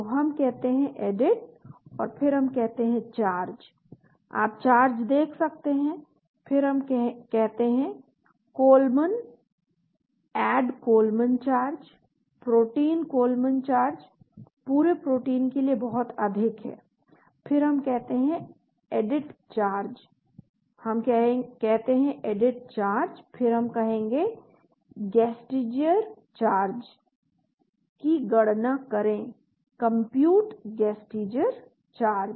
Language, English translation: Hindi, So we say Edit and then we say charges you can see the charges then we say Kollman Add Kollman Charges, protein Kollman charges is so much for the entire protein then again we say Edit charges, we say Edit charges then will say calculate Gasteiger charges, compute Gasteiger charges